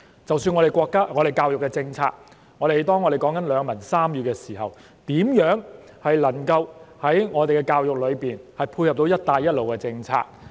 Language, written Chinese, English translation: Cantonese, 即使是我們的教育政策，當我們談及兩文三語時，我們的教育如何配合"一帶一路"的政策呢？, Regarding the biliteracy and trilingualism policy how does our education policy complement the Belt and Road Initiative?